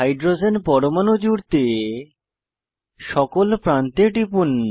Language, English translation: Bengali, Let us attach hydrogen atoms at the ends